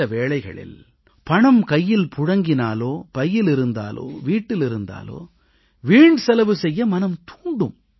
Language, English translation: Tamil, When there is cash in the hand, or in the pocket or at home, one is tempted to indulge in wasteful expenditure